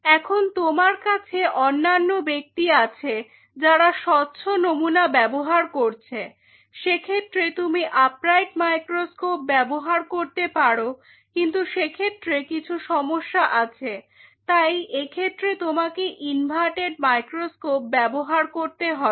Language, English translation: Bengali, And you have the other people who will be using on a transparent either you can use the upright one, but the problem there are issues with upright one 2, then in that case you have to another microscope which is inverted